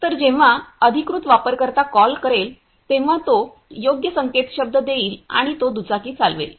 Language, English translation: Marathi, So, when the authorized user will call he will give the right password and he will ride the bike